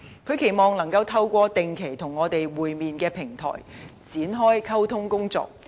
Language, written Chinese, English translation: Cantonese, 他期望能夠透過定期與我們會面的平台，展開溝通工作。, He also hoped that such communication could be conducted on a platform of regular meetings with us